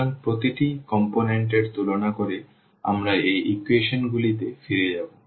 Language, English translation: Bengali, So, comparing the each component we will get basically we will get back to these equations